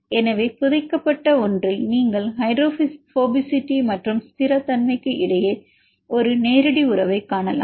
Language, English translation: Tamil, So, burried one you can see a direct relationship between the hydrophobicity and stability